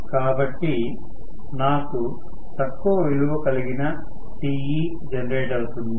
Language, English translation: Telugu, So, I am going to have less value of Te produced